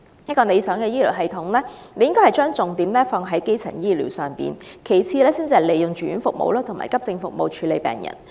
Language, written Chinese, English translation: Cantonese, 一個理想的醫療系統應把重點放在基層醫療上，利用住院服務及急症服務處理病人只屬其次。, The focus of an ideal healthcare system should preferably be placed on primary healthcare services and treating patients with inpatient as well as accident and emergency services is only of secondary importance